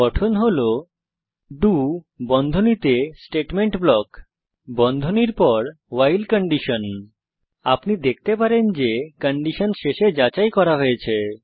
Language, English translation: Bengali, The structure is do statement block after the bracket the while You can see that the condition is checked at the end